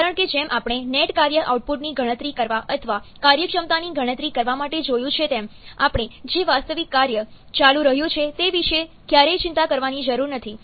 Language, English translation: Gujarati, Because like we have seen to calculate the net work output or to calculate the efficiency, we never have to bother about the actual work that is going on